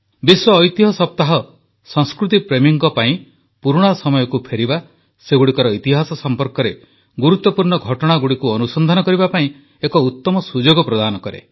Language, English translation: Odia, World Heritage Week provides a wonderful opportunity to the lovers of culture to revisit the past and to know about the history of these important milestones